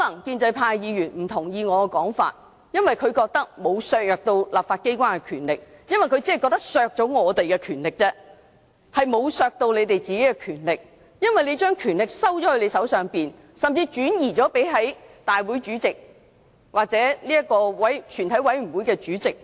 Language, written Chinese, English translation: Cantonese, 建制派議員可能不同意我的說法，因為他們認為沒有削弱立法機關的權力，只是削弱反對派的權力，而沒有削弱他們的權力，因為他們把權力收在自己手上，甚至轉移至立法會主席或全體委員會主席手上。, Pro - establishment Members may not agree with my remarks because they do not think they have weakened the powers of the legislature . They have only weakened the powers of opposition Members while their powers remain intact . They have taken all powers in their own hands or even transferred the powers to the President of the Council or the Chairman of a committee of the whole Council